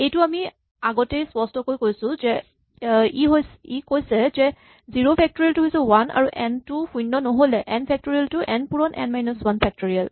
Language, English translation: Assamese, This is very clearly what we said before; it says zero factorial is 1 and otherwise if n is not 0, n factorial is n times n minus 1 factorial